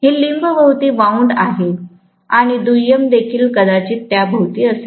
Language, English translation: Marathi, It is wound around the limb and the secondary is going to be probably around that as well